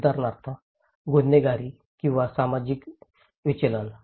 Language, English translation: Marathi, For example; crime or social deviance